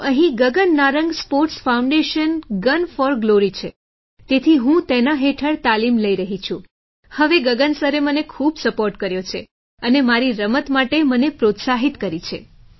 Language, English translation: Gujarati, So there's Gagan Narang Sports Foundation, Gun for Glory… I am training under it now… Gagan sir has supported me a lot and encouraged me for my game